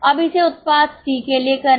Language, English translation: Hindi, Now do it for product C